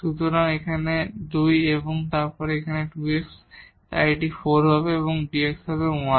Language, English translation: Bengali, So, here 2 and this 2 x so, this will be 4 and dx is 1